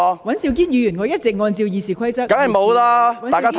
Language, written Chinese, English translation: Cantonese, 尹兆堅議員，我一直按照《議事規則》主持會議。, Mr Andrew WAN I have been presiding over the meeting in accordance with the Rules of Procedure